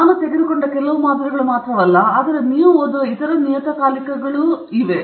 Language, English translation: Kannada, This is just some samples that I have picked up, but there are many other journals and many other magazines that you would have read